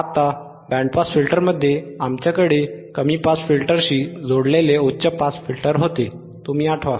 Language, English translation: Marathi, Now, in the band pass filter, we had high pass band pass band pass filters